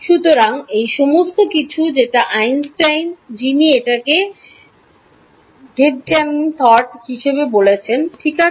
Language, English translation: Bengali, So, these all what Einstein who the call Gedanken thought experiments fine